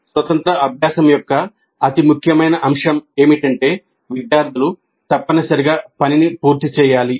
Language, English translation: Telugu, Now the most important aspect of the independent practice is that students must complete the work